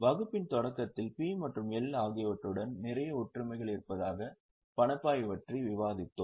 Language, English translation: Tamil, In the beginning of the session we had discussed that cash flow has lot of similarities with P&L